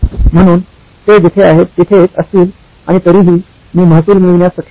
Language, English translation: Marathi, So they can be where they are and still I should be able to get revenue